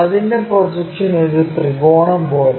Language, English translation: Malayalam, And its projection, as a triangle